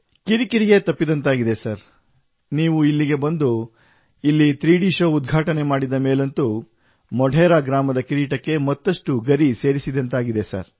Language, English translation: Kannada, The hassles are over Sir and Sir, when you had come here and that 3D show which you inaugurated here, after that the glory of Modhera village has grown manifold